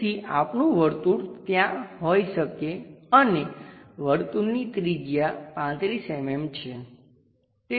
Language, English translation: Gujarati, So, our circle may be there and the circle radius supposed to be 35 mm the diameter